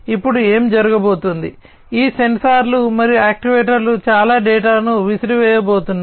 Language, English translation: Telugu, Now, what is going to happen, these sensors and actuators are going to throw in lot of data